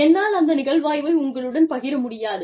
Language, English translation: Tamil, I cannot share the case study, with you